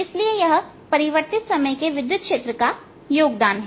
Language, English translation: Hindi, so this is the contribution due to time, varying electric field